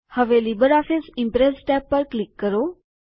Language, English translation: Gujarati, Now click on the LibreOffice Impress tab